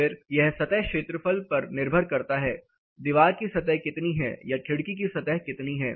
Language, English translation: Hindi, Then it depends on the surface area; how much wall surface or how much window surface is